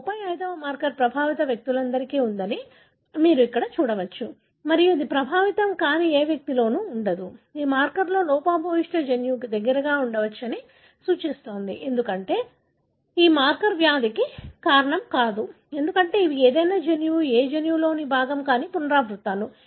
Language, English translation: Telugu, You can see here this 35 marker is present in all the affected individuals and it is not present in any of the unaffected individual, suggesting this marker could possibly present close to a gene which is defective, because this marker itself is not causing the disease, because these are repeats which are not part of any genome, any gene